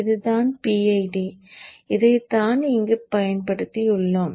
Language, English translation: Tamil, This is the PID and this is what we had we have used here